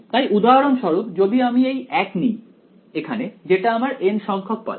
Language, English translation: Bengali, So, if I take for example, 1 if I take this to be the n th pulse